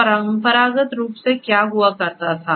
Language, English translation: Hindi, So, you know traditionally what used to happen